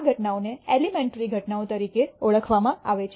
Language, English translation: Gujarati, These events are known as elementary events